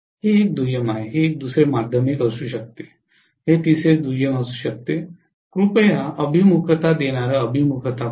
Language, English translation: Marathi, This is one secondary, this may be the other secondary, this may be the third secondary please look at the orientation this is inductive orientation